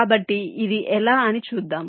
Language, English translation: Telugu, so let see how